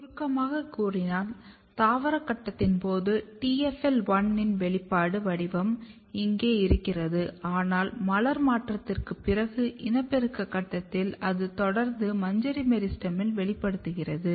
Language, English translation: Tamil, So, in during vegetative phase it is expressed here, here, but in the reproductive phase after floral transition it continue expressing in the inflorescence meristem